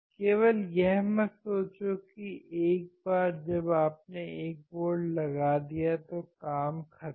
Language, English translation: Hindi, Do not just think that once you are applying 1 volt, it is done